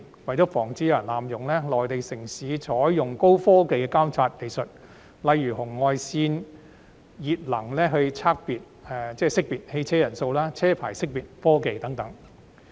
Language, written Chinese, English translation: Cantonese, 為防止有人濫用，內地城市採用高科技的監察技術，例如紅外熱能技術識別乘車人數、車牌識別科技等。, To avoid abuse the Mainland cities have adopted advanced surveillance technologies such as infrared thermography for detection of the number of passengers and licence plate recognition technology